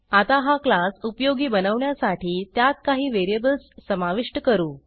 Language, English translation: Marathi, Now let us make the class useful by adding some variables